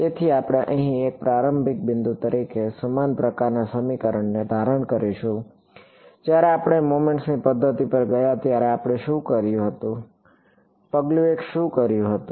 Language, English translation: Gujarati, So, we will assume the same sort of formulating equation over here as a starting point, what did we do when we went to the method of moments, what was sort of step 1